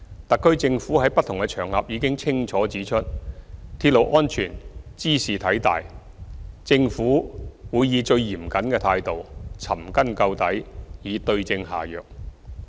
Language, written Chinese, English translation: Cantonese, 特區政府在不同場合已清楚指出，鐵路安全茲事體大，政府會以最嚴謹的態度，尋根究底，對症下藥。, The SAR Government has clearly stated on various occasions that railway safety is a matter of crucial importance . We will adopt the most stringent attitude to find the root cause and the right solution